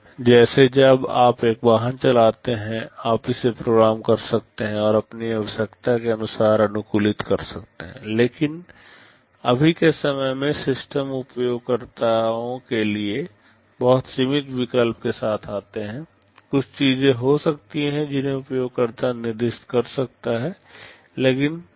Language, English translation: Hindi, Like when you drive a vehicle you may program it and customize it according to your need, but as of today the systems come with very limited choice to the users; may be a few things user can specify, but not all